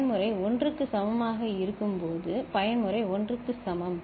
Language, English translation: Tamil, And when mode is equal to 1, mode is equal to 1